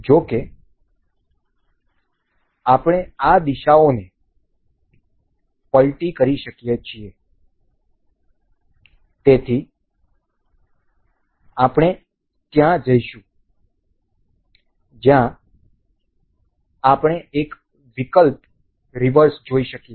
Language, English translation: Gujarati, However, we can reverse these directions so, we will go to at we have we can see here an option called reverse